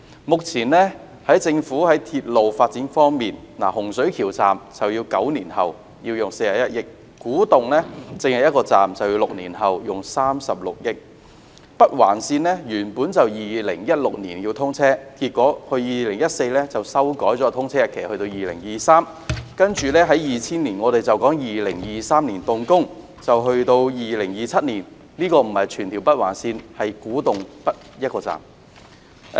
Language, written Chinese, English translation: Cantonese, 目前，政府在鐵路發展方面，洪水橋站要9年後才竣工，耗用41億元；至於古洞站，只是一個站，但就需時6年及耗用36億元；北環線原本要在2016年通車，結果在2014年修改了通車日期至2023年，其後在2020年又說在2023年動工，到2027年才完工，所指的並不是全條北環線，只是古洞北一個站。, With regard to the current railway developments of the Government the Hung Shui Kiu Station will only be completed nine years from now at a cost of 4.1 billion; as for the Kwu Tung Station it will take six years and 3.6 billion to build the station alone; the Northern Link NOL was originally targeted for commissioning in 2016 but in 2014 the commissioning date was revised to 2023 and subsequently in 2020 it was announced that the construction―of just one station at Kwu Tung North but not the entire NOL―would start in 2023 and complete in 2027